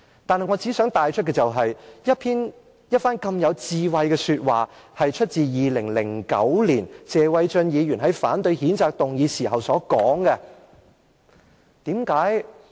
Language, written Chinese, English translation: Cantonese, 不過，我想帶出的是，這番如此有智慧的說話，是謝偉俊議員在2009年反對譴責議案時所說的。, However I would like to point out that the wise remarks were made by Mr Paul TSE in 2009 when he opposed the censure motion